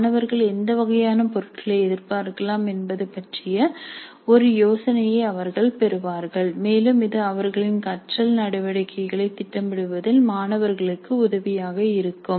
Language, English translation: Tamil, They would get an idea as to what kind of items the students can expect and that would be helpful for the students in planning their learning activities